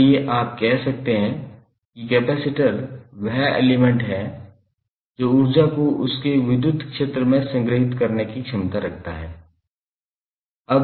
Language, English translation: Hindi, So that is why you can say that capacitor is element capacitance having the capacity to store the energy in its electric field